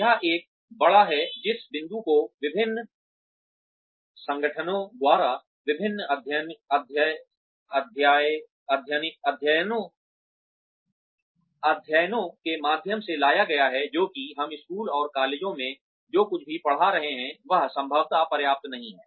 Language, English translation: Hindi, This is one big, this point has been brought up, by various organizations, through various studies that, whatever we are teaching in schools and colleges, is probably not enough